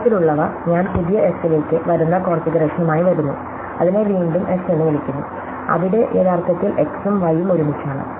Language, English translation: Malayalam, Such that, I come with the configuration I come to new S, I call it S again, where actually have x and y together